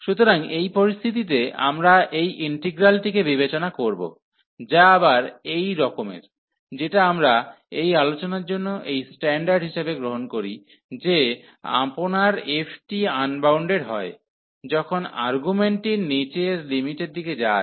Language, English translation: Bengali, So, in this situation so we will be considering this integral, which is again of this nature, which we take as these standard for the discussion that f your integrand is bounded, when the argument is going to the lower limit